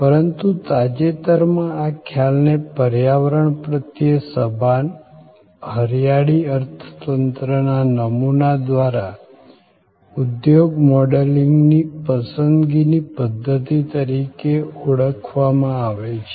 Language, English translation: Gujarati, But, lately this concept also is being often referred to as a preferred system of business modeling by environment conscious, green economy exponents